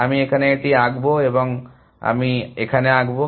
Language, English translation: Bengali, So, I will draw this here, and I will draw this here